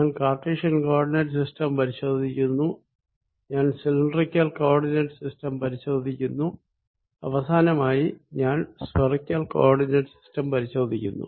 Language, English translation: Malayalam, i am going to review for you cartesian coordinate system, i am going to use for review for you the cylindrical coordinate system and finally the spherical coordinate system